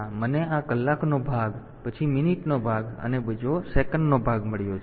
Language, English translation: Gujarati, So, I have got this is hour part then minute part and second part fine